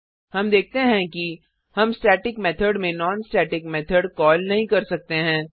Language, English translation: Hindi, We see that we cannot call a non static method inside the static method So we will comment this call